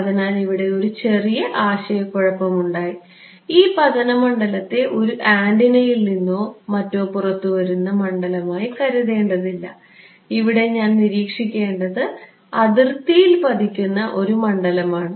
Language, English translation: Malayalam, So, slight confusion over here, this incident field do not think of it as the field that is coming out of an antenna or something, I mean it is not it is the field that is being incident on the boundary, which I should observe